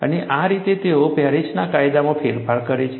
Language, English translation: Gujarati, And this is how they modified the Paris law